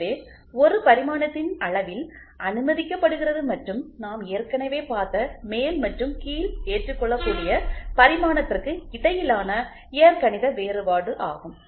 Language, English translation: Tamil, So, permitted in the size of a dimension and is the algebraic difference between the upper and the lower acceptable dimension which we have already seen